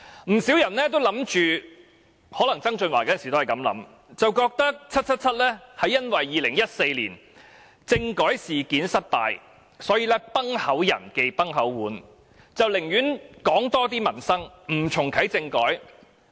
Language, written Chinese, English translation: Cantonese, 不少人都認為曾俊華當時也這樣想，便覺得 "777" 是因為2014年政改事件失敗，所以"崩口人忌崩口碗"，寧願多談民生，不重啟政改。, Many people considered John TSANG was thinking the same therefore they thought that 777 would rather talk about peoples livelihood more and politics less simply because of her failure in the 2014 constitutional reform just like a person with a cleft lip would avoid a cracked bowl